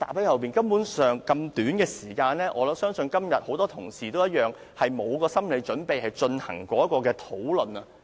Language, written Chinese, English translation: Cantonese, 在這麼短的時間內，我相信今天很多同事也一樣，根本沒有心理準備進行此項辯論。, I believe many Honourable colleagues are similarly not prepared at all to engage this debate within such a short time today